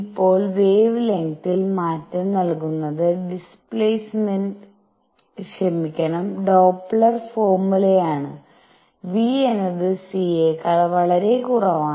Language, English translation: Malayalam, Now change in the wavelength is given by Doppler’s formula and v is much much less than c